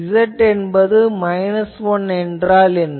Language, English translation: Tamil, What is Z is equal to minus 1